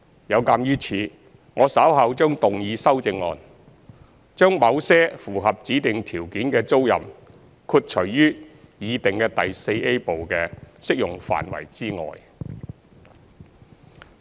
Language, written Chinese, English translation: Cantonese, 有鑒於此，我稍後將動議修正案，將某些符合指定條件的租賃豁除於擬訂第 IVA 部的適用範圍之外。, In light of this I will move amendments later to exclude certain tenancies that fulfil the specified criteria from the application of the proposed Part IVA